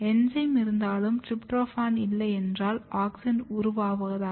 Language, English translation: Tamil, This enzyme is basically responsible for converting tryptophan into auxin